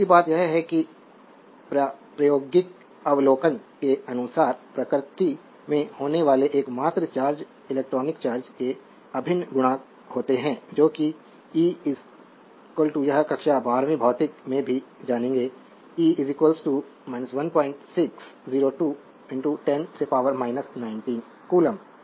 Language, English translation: Hindi, Second thing is according to experimental observation, the only charges that occur in nature are integral multiplies of the electronic charge that e is equal to this will know from your class 12 physics also, e is equal to minus 1